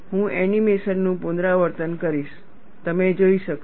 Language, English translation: Gujarati, I will repeat the animation, so you could see